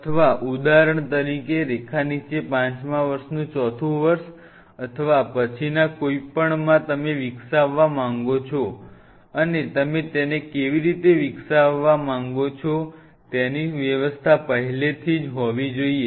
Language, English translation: Gujarati, Or say for example, fourth year of fifth year down the line or in next any you want to develop, and you have to have the provision already there how you want to develop it